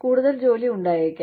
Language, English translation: Malayalam, There could be more work